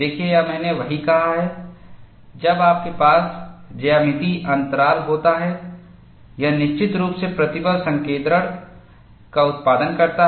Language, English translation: Hindi, See, this is what I had said, when you have a geometric discontinuity, it definitely produces stress concentration